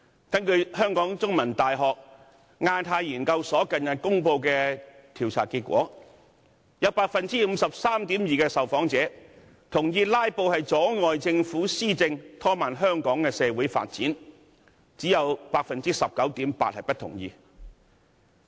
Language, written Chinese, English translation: Cantonese, 根據香港中文大學亞太研究所近日公布的調查結果，有 53.2% 受訪者同意"拉布"阻礙政府施政，拖慢香港的社會發展，只有 19.8% 受訪者不同意。, According to the survey results published recently by the Hong Kong Institute of Asia - Pacific Studies of the Chinese University of Hong Kong 53.2 % of the respondents agree that filibustering has undermined governance of the Government and slowed down the pace of social development in Hong Kong while only 19.8 % of the respondents disagree